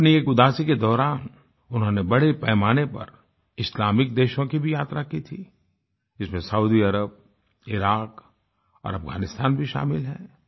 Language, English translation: Hindi, During one Udaasi, he widely travelled to Islamic countries including Saudi Arabia, Iraq and Afghanistan